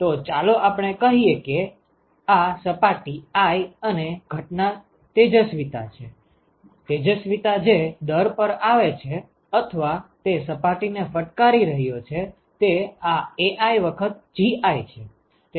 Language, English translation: Gujarati, So, let us say this is surface i and incident irradiation, the rate at which the irradiation is coming or hitting that surface this Ai times Gi ok